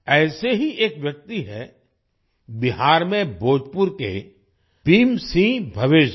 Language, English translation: Hindi, One such person is Bhim Singh Bhavesh ji of Bhojpur in Bihar